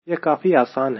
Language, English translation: Hindi, its as simple as this